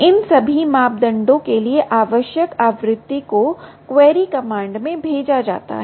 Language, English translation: Hindi, all these parameters are sent out in the query command